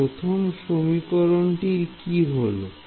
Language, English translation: Bengali, So, what happens to the first equation